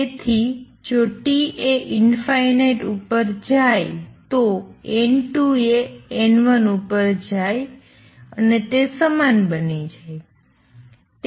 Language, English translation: Gujarati, So, if T goes to infinity N 2 goes to N 1 they become equal